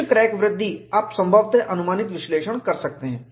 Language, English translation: Hindi, Some crack growth, you can possibly, analyze approximately